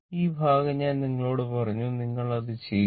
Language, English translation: Malayalam, This part little I told you little bit you do it